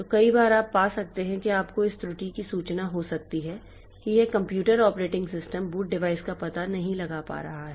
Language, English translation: Hindi, So, many times you may find, you might have noticed this no error that this computer the operating system could not locate the boot device